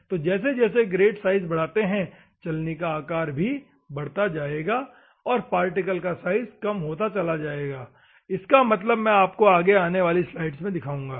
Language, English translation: Hindi, So, as the grit size increases as the sieve size increase normally the particle size, will go down, that particular also I will explain you in the upcoming slides